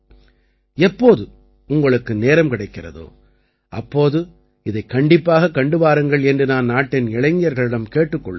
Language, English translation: Tamil, I would like to urge the youth that whenever they get time, they must visit it